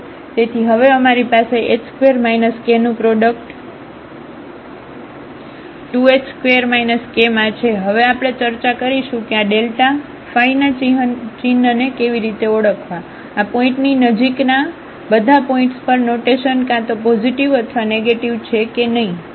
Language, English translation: Gujarati, So, we have the product of h square minus k into 2 h square minus k and now we will discuss how to identify the sign of this delta phi whether we have a definite sign either positive or negative at all the points in the neighborhood of this point or the sign changes